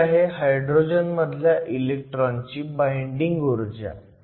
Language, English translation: Marathi, So, this is the binding energy of an electron in the hydrogen atom